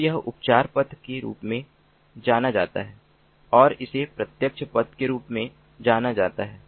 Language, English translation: Hindi, so this is known as the healing path and this is known as the direct path